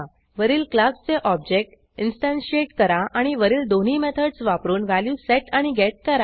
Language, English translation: Marathi, Instantiate the object of the class and set and get values using the above 2 methods